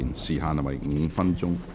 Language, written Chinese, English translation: Cantonese, 時限為5分鐘。, The time limit is five minutes